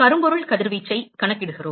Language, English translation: Tamil, We quantify blackbody radiation